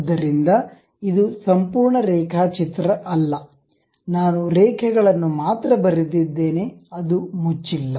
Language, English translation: Kannada, So, it is not a complete sketch, only lines I have constructed, not a closed one